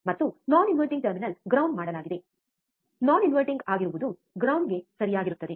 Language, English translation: Kannada, And non inverting terminal is grounded, non inverting is grounded right